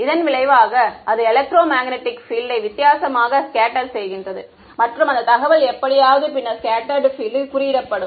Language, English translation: Tamil, As a result of which its scatters the electromagnetic field differently and that information somehow gets then encoded into the scattered field